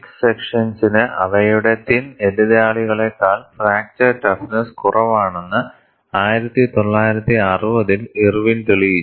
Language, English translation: Malayalam, In 1960, Irwin demonstrated that, thick sections have markedly lower fracture toughness than their thin counterparts